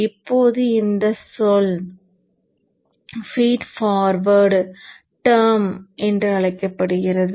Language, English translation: Tamil, So this is called feed forward term